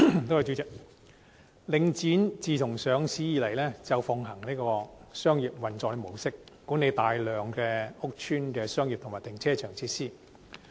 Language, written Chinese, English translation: Cantonese, 代理主席，自上市以來，領展奉行商業運作模式，管理大量屋邨的商業及停車場設施。, Deputy President Link REIT has adopted a commercial mode of operation since its listing managing the commercial and car parking facilities in a large number of housing estates